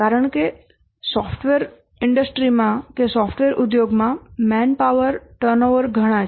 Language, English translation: Gujarati, Because there is a lot of manpower turnover in software industry